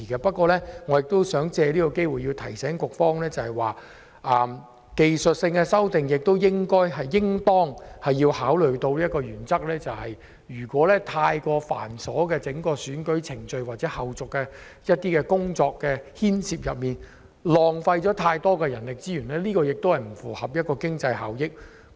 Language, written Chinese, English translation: Cantonese, 不過，我想藉此機會提醒局方，技術性修訂應當考慮的一個原則是，如果繁瑣的選舉程序或後續工作浪費太多人力資源，並不符合經濟效益。, However I would like to take this opportunity to remind the Bureau that the technical amendment should take into consideration one principle . If the cumbersome electoral process or follow - up procedure would result in a waste of too many manpower resources it is not cost - effective